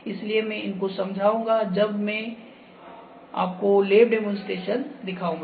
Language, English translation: Hindi, So, I will come to them when I will actually show you the lab demonstration